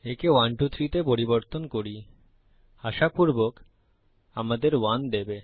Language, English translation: Bengali, Changing this to 123, will hopefully give us 1